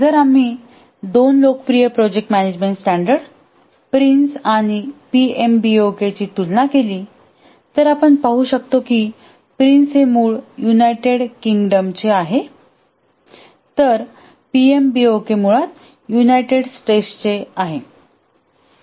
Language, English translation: Marathi, If we compare two popular project management standards, the Prince and the PMB, we can see that the Prince is the origin is United Kingdom whereas the PMBOK, the origin is United States